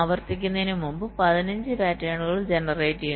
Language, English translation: Malayalam, fifteen patterns is generated before repeating